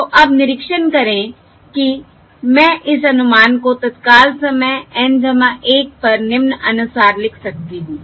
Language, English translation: Hindi, So now, observe that I can write this estimate at time instant N plus 1 as follows: I can write this as submission